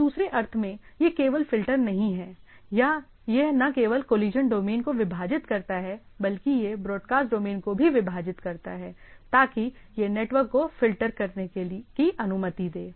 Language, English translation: Hindi, So, in other sense it is not only filters, the collision it not only divides the collision domain, it also divide the broadcast domains so, that it is it is only allowed filter the traffic those traffics to the other things